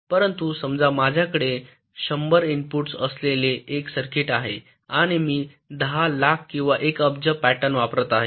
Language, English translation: Marathi, but suppose i have a circuit with hundred inputs and i am applying, lets say, one million or one billion patterns